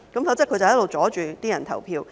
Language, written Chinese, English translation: Cantonese, 否則他便一直阻礙選民投票。, Otherwise they will keep blocking voters from voting